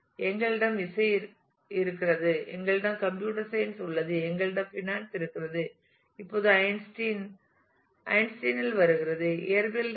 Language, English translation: Tamil, We have music, we have computer science, we have finance and now Einstein comes in Einstein is from physics